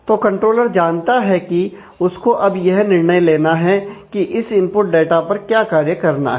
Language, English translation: Hindi, So, the controller knows that, it has to now decide whether, this what actions are required in terms of this input data